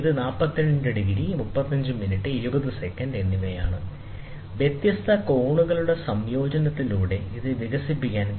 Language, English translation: Malayalam, So, it is 42 degrees, 35 minutes, and 20 seconds, which can be developed by the combination of different angles